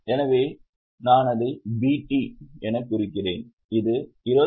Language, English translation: Tamil, So, I have marked it as BT which is 29,300